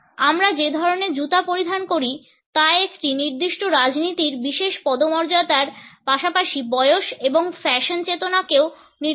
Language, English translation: Bengali, The type of shoes which we wear also indicate a particular politics a particular status as well as age and fashion sense